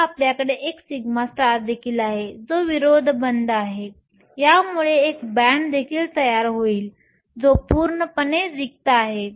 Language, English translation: Marathi, Now we also have a sigma star which is the anti bonding, this will also form a band, which is completely empty